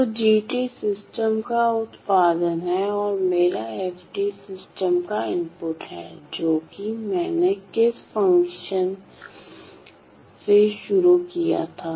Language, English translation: Hindi, So, my g of t is the output of the system and my f of t is the input of the system which is what the convention that I started with